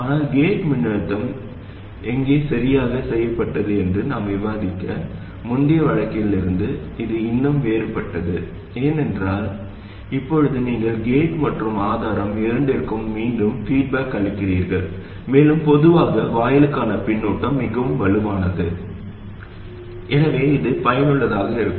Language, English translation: Tamil, But this is still a different case from the earlier case we discussed where the gate voltage was fixed because now you are feeding back to both the gate and the source and typically the feedback to the gate is much stronger so it is useful to treat this as a special case